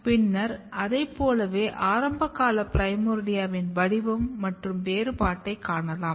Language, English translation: Tamil, And then like that you see early primordia patterning and differentiation